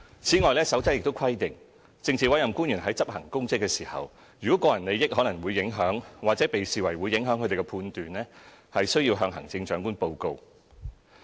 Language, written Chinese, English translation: Cantonese, 此外，《守則》亦規定政治委任官員在執行公職時，如個人利益可能會影響，或被視為會影響他們的判斷，均須向行政長官報告。, Moreover the Code also requires that PAOs shall report to the Chief Executive any private interests that might influence or appear to influence their judgment in the performance of their duties